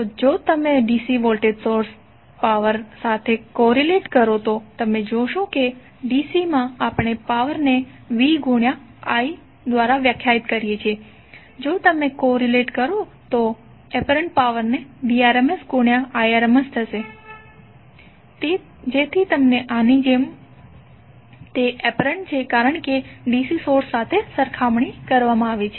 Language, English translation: Gujarati, So if you corelate with the DC voltage source power you see that in DC we define power as v into i, so if you correlate the apparent power would be the Irms into Vrms, so that you get a feel of like this is apparent as compared with the DC source